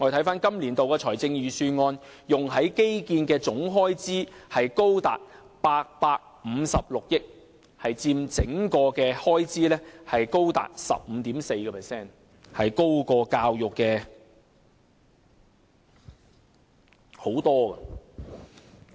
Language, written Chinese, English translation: Cantonese, 本年度預算案用在基建的總開支達856億元，高佔整體開支 15.4%， 比教育的開支高出很多。, In this years Budget the total amount of expenditure on infrastructure reaches 85.6 billion taking up a high proportion of 15.4 % to the overall expenditure which is much higher than the expenditure on education